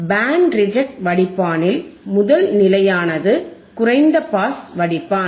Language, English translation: Tamil, In Band Reject Filter Band Reject Filter, first stage is low pass filter